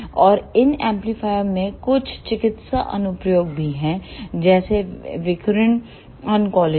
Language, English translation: Hindi, And these amplifier also have some medical applications such as in radiation oncology